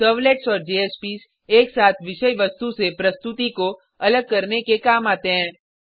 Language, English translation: Hindi, Servlets and JSPs are used together to separate presentation from content